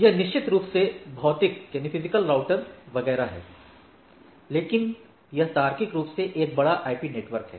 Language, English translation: Hindi, So, it is a definitely, there are physical router etcetera, but it is a logically a large IP network